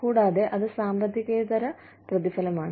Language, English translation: Malayalam, And, that is a non financial reward